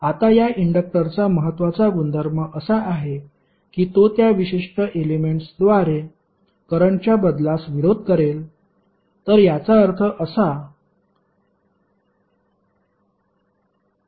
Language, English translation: Marathi, Now, important property of this inductor is that it will oppose to the change of flow of current through that particular element